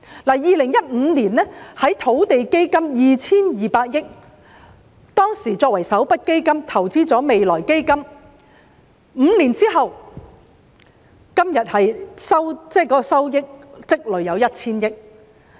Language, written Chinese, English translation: Cantonese, 在2015年，當時以土地基金 2,200 億元結餘作為首筆基金投資到未來基金；在5年後，今天的收益積累便有 1,000 億元。, In 2015 an initial endowment of around HK220 billion from the balance of the Land Fund was invested in the Future Fund and five years later it has accumulated a return amounting to 100 billion now